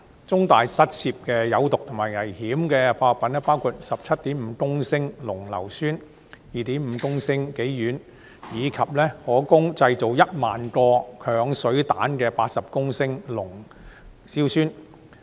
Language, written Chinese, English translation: Cantonese, 中大失竊的有毒及危險化學品包括 17.5 公升濃硫酸、2.5 公升己烷，以及可供製造一萬個鏹水彈的80公升濃硝酸。, The poisonous and dangerous chemicals stolen from CUHK include 17.5 litres of concentrated sulphuric acid 2.5 litres of hexane as well as 80 litres of concentrated nitric acid that may be used for making 10 000 acid bombs